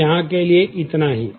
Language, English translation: Hindi, So, this is what we have here